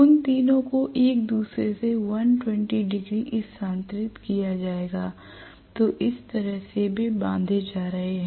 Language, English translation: Hindi, All the 3 of them will be 120 degree shifted from each other that is how they are going to be wound